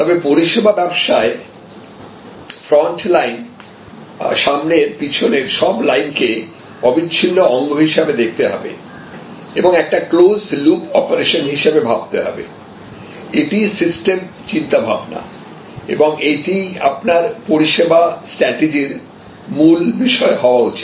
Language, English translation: Bengali, But, in service business you must see it as a continuous flow from the front line to the back and forward as a loop as a closed loop operation; that is what systems thinking is all about and that should be the core of your service strategy thinking